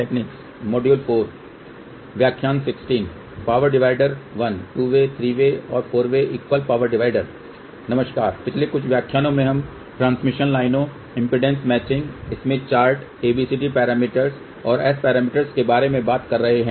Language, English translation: Hindi, Hello, in the last few lectures we have been talking about transmission lines impedance matching smith chart ABCD parameters and S parameters